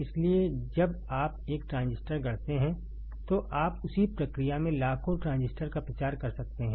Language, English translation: Hindi, So, when you fabricate one transistor, you can propagate millions of transistor in the same process right